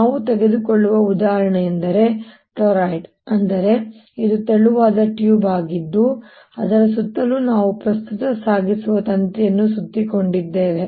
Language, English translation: Kannada, the example i take is that of a turoide, that is, it is a thin quab which is running around on which we have wrapped a current carrying wire, if you like